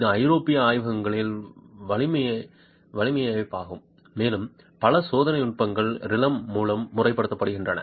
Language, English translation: Tamil, It is a network of European laboratories and a number of test techniques are formalized through Rylem